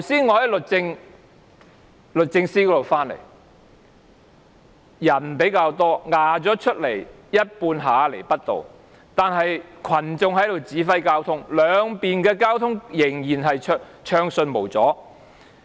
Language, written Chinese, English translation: Cantonese, 我剛才從律政中心那邊回來，人數較多，佔據了一半下亞厘畢道，但群眾在指揮交通，兩邊的交通仍然暢順無阻。, I had just come back from the Justice Place where a larger number of protesters had occupied half of Lower Albert Road . But they were directing traffic and the flow in both directions of the road was still unobstructed